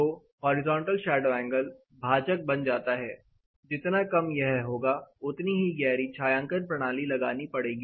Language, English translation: Hindi, So, the horizontal shadow angle gets to the denominator, the lesser it is the deeper the shading you are going to get